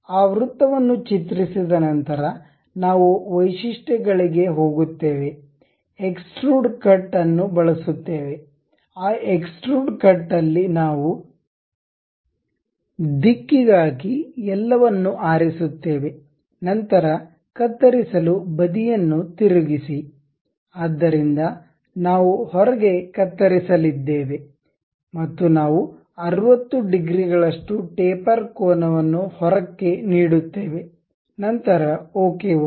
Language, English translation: Kannada, After drawing that circle we go to features use extrude cut, in that extrude cut the direction we pick through all, then flip side to cut, so outside we are going to cut and we give a tapered angle like 60 degrees outwards, then click ok